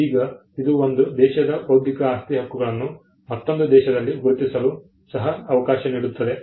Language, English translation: Kannada, Now, this could also allow for recognition of intellectual property rights of one country in another country